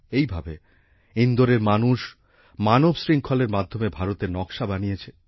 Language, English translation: Bengali, Similarly, people in Indore made the map of India through a human chain